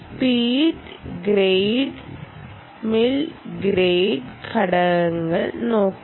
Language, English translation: Malayalam, look at space, space grade, mill grade component